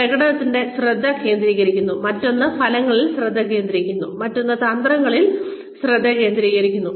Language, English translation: Malayalam, One focuses on the performance, the other focuses on outcomes, the other focuses on strategy